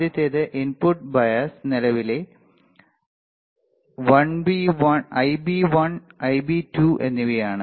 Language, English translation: Malayalam, So, first one is input bias current Ib1 and Ib2